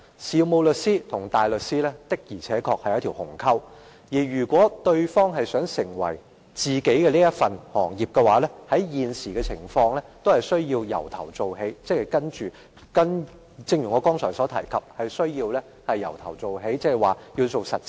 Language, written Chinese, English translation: Cantonese, 事務律師與大律師之間確有一道鴻溝，如果某一方有意轉為從事另一種專業，按照現時的規定，是必須從頭做起，即一如我剛才所說，要從實習開始。, There is indeed a huge gap between solicitors and barristers . Under the current requirement if a solicitor wants to become a barrister or vice versa he must start from the beginning that is he has to undergo the relevant training as I just said